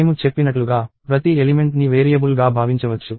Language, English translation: Telugu, So, as I said, each element can be thought of as a variable